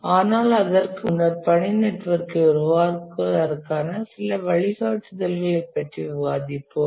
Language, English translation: Tamil, But before that, we'll just discuss some guidelines of developing the task network